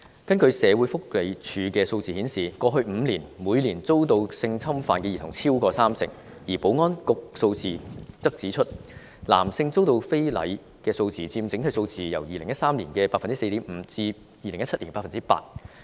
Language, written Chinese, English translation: Cantonese, 根據社署的數字，過去5年，每年超過三成兒童遭到性侵犯，而保安局的數字則指出，男性遭到非禮的數字佔整體數字已由2013年的 4.5% 上升至2017年的 8%。, According to SWDs figures more than 30 % of all children were sexually assaulted over the past five years . According to the Security Bureaus figures the number of male victims of sex assault has increase from 4.5 % in 2013 to 8 % in 2017